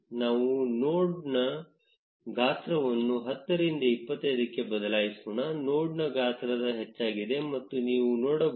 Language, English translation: Kannada, Let us change the size of the node from 10 to 25; you can see that the size of the node has increased